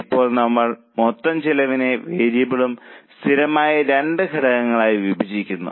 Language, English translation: Malayalam, Now we divide this total cost into two components, variable and fixed